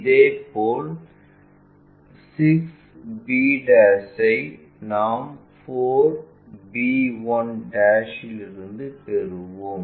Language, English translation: Tamil, Similarly, 6 b' we will get from 4 b 1'